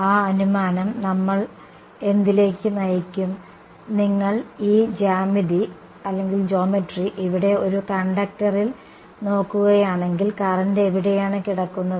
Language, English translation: Malayalam, That assumption we will lead to what, if you look at this geometry over here in a conductor where do the currents lie